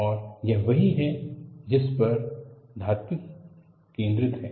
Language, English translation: Hindi, And this is what metallurgists focus upon